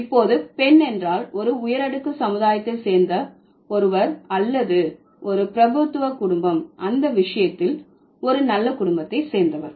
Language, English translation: Tamil, So, now lady means somebody who belongs to maybe an elite society or aristocratic family, who belongs to a well of family for that matter